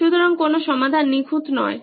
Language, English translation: Bengali, So no solution is perfect